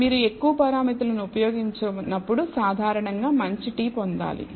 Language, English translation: Telugu, Whenever you use more parameters typically you should get a better t